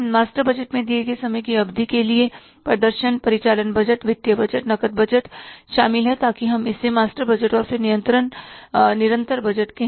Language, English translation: Hindi, Master budget includes the total performance for the given period of time, operating budget, financial budget, cash budget, so that we call it as a master budget